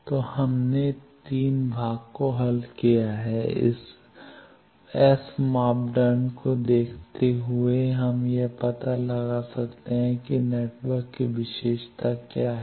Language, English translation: Hindi, So, we have solved the 3 part, given the S parameter we can find out wave what is the property of the network